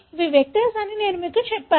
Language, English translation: Telugu, I just told you that these are vectors